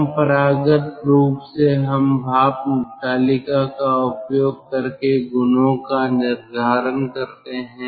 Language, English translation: Hindi, conventionally we determine the property using a steam table